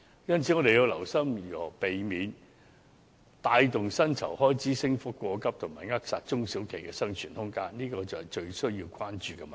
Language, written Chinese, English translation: Cantonese, 因此，我們要留心如何避免帶動薪酬開支升幅過急及扼殺中小企的生存空間，這才是最需要關注的問題。, Therefore we have to be careful of not causing the expenses on wages to increase too drastically and hence stifling the commercial viability of SMEs . This is what warrants our utmost concern